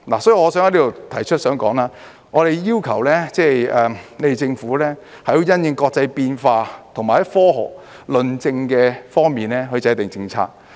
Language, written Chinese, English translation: Cantonese, 所以我想在此提出，我想說，我們要求政府因應國際上的變化，以及從科學論證方面來制訂政策。, Therefore I would like to raise a point here . I wish to say that we request the Government to formulate policies in response to changes in the international arena and on the application of scientific evidence